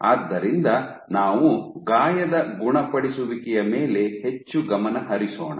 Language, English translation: Kannada, So, we will focus more on this wound healing